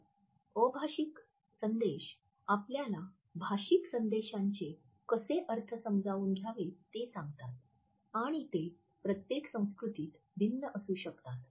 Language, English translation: Marathi, So, nonverbal messages tell us how to interpret verbal messages and they may vary considerably across cultures